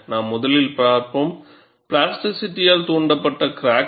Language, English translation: Tamil, And, we will first see, plasticity induced crack closure